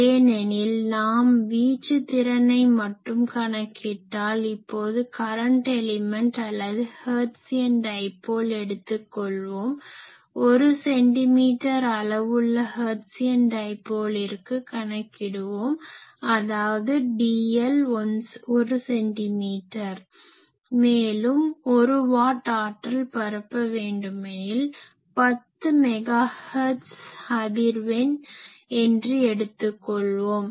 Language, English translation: Tamil, Because if we just calculate the radiation resistance of things suppose I have so, for current element or Hertzian dipole; Let us calculate suppose I have a one centimeter Hertzian dipole; that means, my dl is 1 centimeter and I want to radiate, let us say 1 watt power at which frequency that is important, let us say f is 10 megahertz